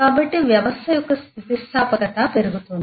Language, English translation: Telugu, So, the resiliency of the system will increase